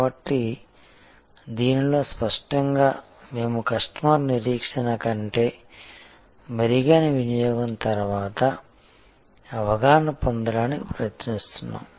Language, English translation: Telugu, So, in this obviously we are trying to have our post consumption perception much better than customer expectation